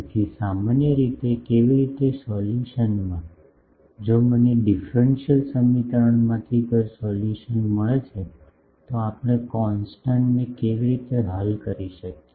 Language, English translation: Gujarati, So, generally how in a solution, if I get a solution from a differential equation, how do we solve the constant